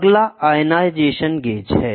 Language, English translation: Hindi, Next is ionization gauge